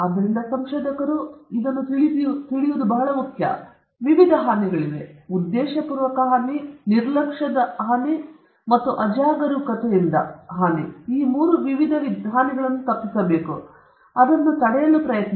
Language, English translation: Kannada, So, it is very important that researchers are aware of it, and there are different types of harm: intentional, negligent, and reckless, you should avoid all the three types of harm and try to prevent it